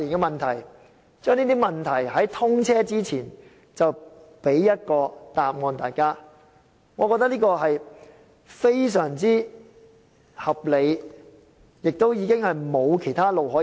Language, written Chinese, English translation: Cantonese, 把這些問題的答案在通車前給大家，我認為這是非常合理的，也沒有其他路可以走。, In my view giving us the answers to these questions before the commissioning of HZMB is very reasonable and there are no other alternatives